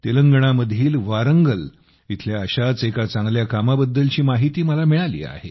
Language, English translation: Marathi, I have come to know of a brilliant effort from Warangal in Telangana